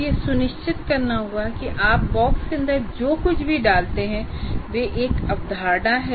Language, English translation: Hindi, You should make sure whatever you put inside the box is actually a concept